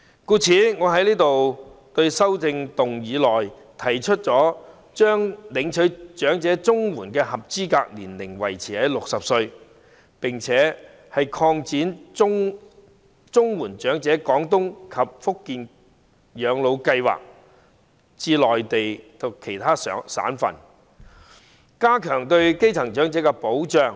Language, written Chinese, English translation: Cantonese, 故此，我在修正案提出："將領取長者綜援的合資格年齡維持於60歲，並擴展'綜援長者廣東及福建省養老計劃'至內地其他省份"，以加強對基層長者的保障。, For this reason I have proposed in my amendment maintaining the eligible age for elderly CSSA at 60 and extend the Portable Comprehensive Social Security Assistance Scheme to cover other provinces of the Mainland so as to strengthen the protection for the grass - roots elderly